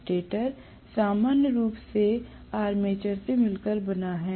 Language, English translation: Hindi, The stator is going to consist of armature normally